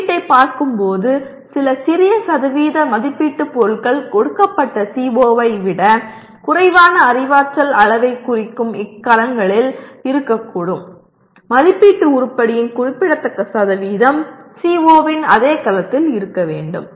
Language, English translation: Tamil, Coming to assessment while some small percentage of assessment items can be in cells representing lower cognitive levels less than that of a given CO significant percentage of assessment item should be in the same cell as that of CO